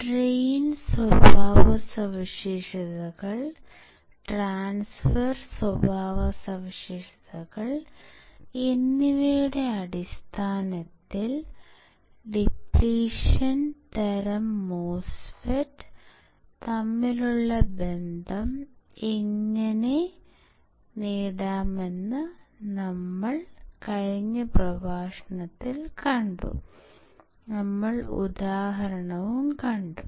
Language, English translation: Malayalam, So, we have seen in the last lecture actually, that was last module right of the same lecture, that how can we derive the relation between depletion type MOSFET in terms of drain characteristics, transfer characteristics, and we have seen examples as well